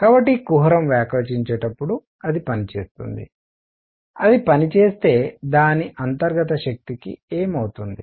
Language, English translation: Telugu, So, as the cavity expands, it does work, if it does work, what should happen to its internal energy